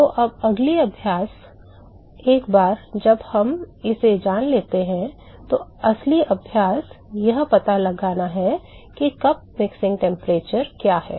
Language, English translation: Hindi, So, now, the real exercise once we know this the real exercise is to find out what is the cup mixing temperature